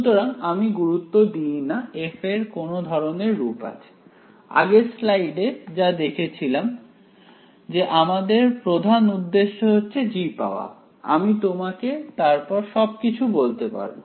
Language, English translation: Bengali, So, we do not care what the form of f is ok, as motivated in the previous slide our main objective is find me g, I can tell you everything ok